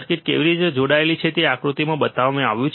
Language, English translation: Gujarati, How the circuit is connected is shown in figure